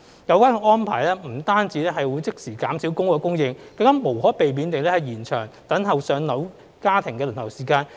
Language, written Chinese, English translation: Cantonese, 有關安排不但即時減少公屋供應，亦無可避免地延長等待"上樓"家庭的輪候時間。, Such an arrangement not only instantly reduces public housing supply but also inevitably lengthens the queuing time for families awaiting flat allocation